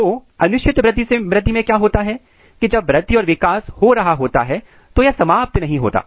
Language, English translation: Hindi, So, in case of indeterminate growth what happens that, when growth and development is happening and it is not getting terminated